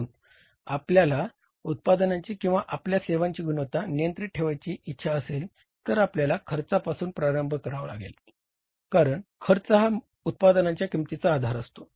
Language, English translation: Marathi, So, if you want to keep the prices of your product or your services under control, you have to start from the cost because cost is the basis of pricing the products